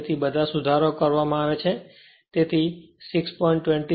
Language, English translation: Gujarati, So, all corrections have been made, so 6